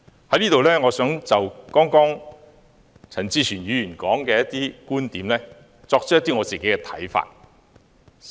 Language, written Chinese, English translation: Cantonese, 我想就陳志全議員剛才的一些觀點，提出我的看法。, I would like to give my thoughts on some of the views just expressed by Mr CHAN Chi - chuen